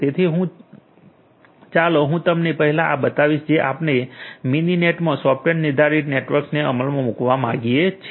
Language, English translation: Gujarati, So, let me just show you this thing first that let us say that we want to implement the software defined networks in Mininet